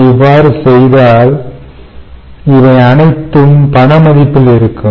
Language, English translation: Tamil, if we do that, then these are all in monetary values